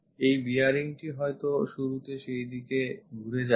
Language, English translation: Bengali, This bearing might be initially turned in that direction